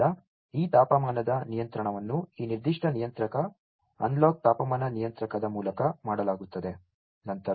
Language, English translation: Kannada, So, that the controlling of this temperature is done through this particular controller, the analog temperature controller